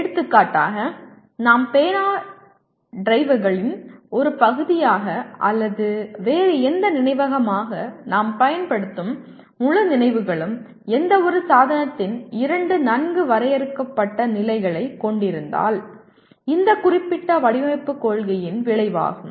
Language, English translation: Tamil, For example, the entire memories that we use as a part of our pen drives or any other memory is the result of this particular design principle if we have two well defined states of any device and you have some control of keep switching the state of the device it can become a memory